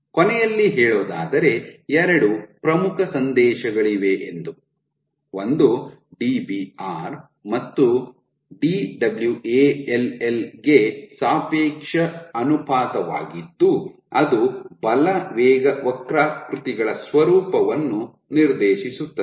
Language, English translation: Kannada, So, just to conclude there are two important messages relative ratio of Dbr to Dwall dictates the nature of force velocity curves, this is one